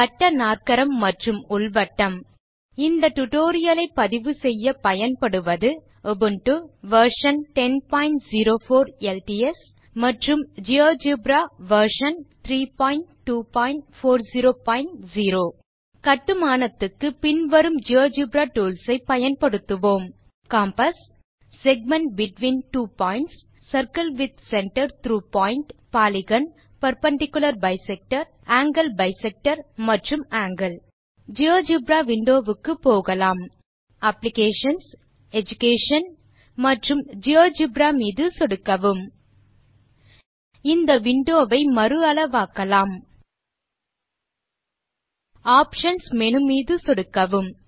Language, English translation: Tamil, In this tutorial we will learn to construct Cyclic quadrilateral and In circle To record this tutorial I am using Linux operating system Ubuntu Version 10.04 LTS And Geogebra Version 3.2.40.0 We will use the following Geogebra tools for the construction compass segment between two points circle with center through point polygon perpendicular bisector angle bisector and angle Let us switch on to the Geogebra window